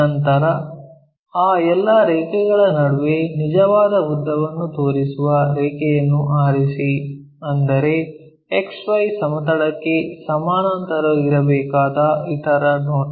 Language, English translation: Kannada, Then, among all those lines, pick a line which is showing true length; that means, the other view supposed to be parallel to the XY plane